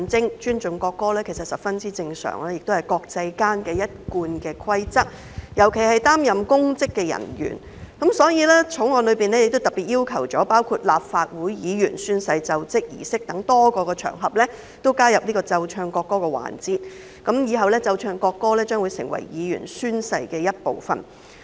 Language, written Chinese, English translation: Cantonese, 其實尊重國歌十分正常，亦是國際間的一貫規則，尤其公職人員，所以《國歌條例草案》特別規定在立法會議員宣誓儀式等多個場合加入奏唱國歌的環節，以後奏唱國歌會成為議員宣誓儀式的一部分。, In fact it is very natural to respect the national anthem and it is also an established rule in the international community particularly for public officers . Therefore the National Anthem Bill the Bill especially stipulates that the playing and singing of the national anthem should be added to several occasions including the ceremony for taking the Legislative Council Oath and so in the future the playing and singing of the national anthem will be part of the oath - taking ceremony for Members